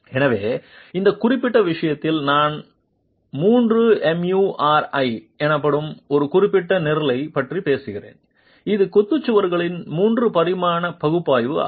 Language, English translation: Tamil, So, in this particular case, I'm talking of a specific program called Thremuri, which is three dimensional analysis of masonry walls